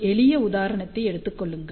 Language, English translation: Tamil, So, just take a simple example